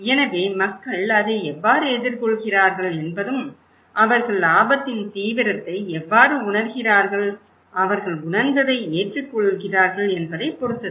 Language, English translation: Tamil, So, how people react it depends on how they are perceiving the seriousness of the risk and perceiving their perceived acceptability okay